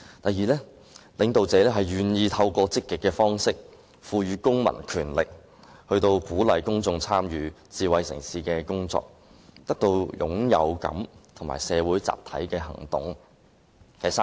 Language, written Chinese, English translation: Cantonese, 第二，領導者願意透過積極方式，賦予公民權力，鼓勵公眾參與智慧城市的工作，因而得到歸屬感及參與社會集體行動的滿足感。, Secondly the leaders are willing to empower the citizens in a proactive manner to incentivize the public to participate in the smart city work thereby gaining a sense of belonging and satisfaction from taking collective actions